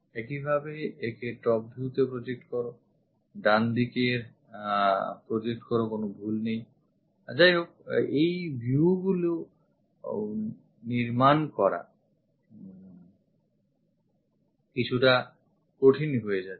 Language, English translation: Bengali, Similarly, project it on to top view, project it on to right side, there is nothing wrong; however, constructing those views becomes bit difficult